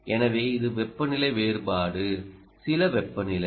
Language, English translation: Tamil, so you must look at temperature differential